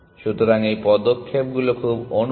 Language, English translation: Bengali, So, the steps are very similar at